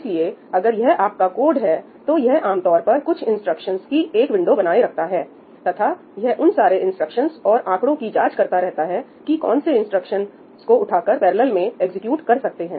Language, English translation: Hindi, So, if this is your code, it generally maintains a window of a few instructions, and it examines all those instructions and figures out that which are the instructions that can be picked up to be executed in parallel